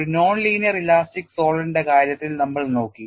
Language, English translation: Malayalam, We are looked at in the case of a non linear elastic solid